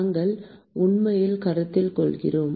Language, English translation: Tamil, We are actually consider